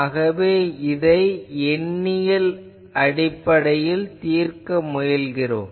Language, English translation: Tamil, That is why we are solving this numerically